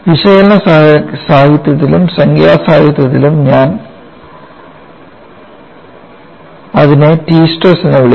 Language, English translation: Malayalam, And I mention in analytical literature and numerical literature they call it as t stress